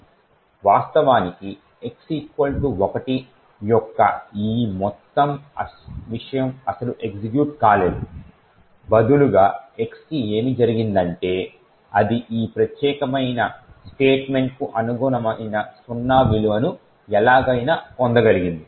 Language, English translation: Telugu, Infact this entire thing of x equal to 1 has not been executed at all rather what has happened to x is that it has somehow manage to obtain a value of zero which corresponds to this particular statement